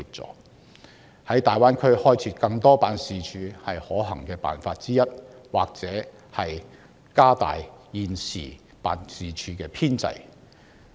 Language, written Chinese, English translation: Cantonese, 就此，政府在大灣區開設更多相關辦事處是可行辦法之一，政府亦可擴大現時辦事處的編制。, In this connection the Government may among others set up more relevant offices in the Greater Bay Area and expand the establishment of existing offices